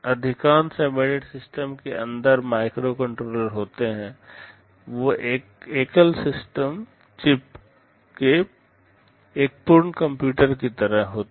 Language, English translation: Hindi, Most of the embedded systems have microcontrollers inside them, they are like a complete computer in a single chip